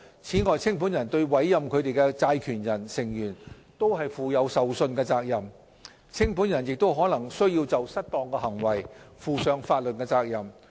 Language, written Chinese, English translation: Cantonese, 此外，清盤人對委任他們的債權人/成員負有受信職責。清盤人亦可能須就失當行為負上法律責任。, Besides liquidators is duty - bound to exercise due diligence for the creditors or scheme members who appoint them and they may be legally liable for any misconduct